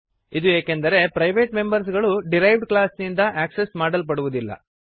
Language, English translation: Kannada, This is because the private members are not accessed by the derived class